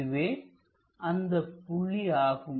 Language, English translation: Tamil, So, it is supposed to be this point